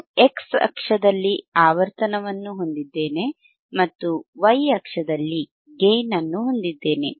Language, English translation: Kannada, I have the frequency on the y axis, sorry x axis and gain on the y axis, right